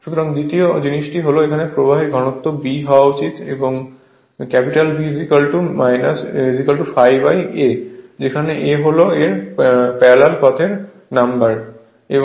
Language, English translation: Bengali, So, second thing is the flux density b should B is equal to phi upon small a right and your A is the number of parallel path right